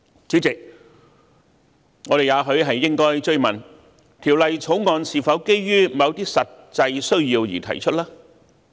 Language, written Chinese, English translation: Cantonese, 主席，我們也許應追問，《條例草案》是否基於某些實際需要而提出？, President perhaps we should further ask whether the Bill is proposed owing to certain actual needs